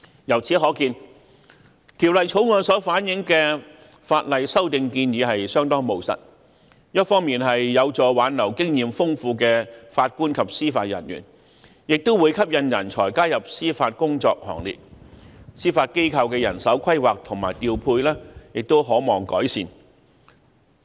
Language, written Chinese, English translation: Cantonese, 由此可見，《條例草案》所反映的法例修訂建議相當務實，一方面有助挽留經驗豐富的法官及司法人員，另一方面也會吸引人才加入司法工作行列，因而司法機構的人手規劃及調配亦可望改善。, It can thus be seen that the legislative amendment proposals as reflected by the Bill are rather pragmatic . On the one hand they are conducive to retaining experienced JJOs; on the other hand they will also attract talents to join the Bench thereby hopefully improving judicial manpower planning and deployment